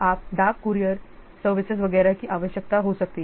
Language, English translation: Hindi, You may require postal courier services, etc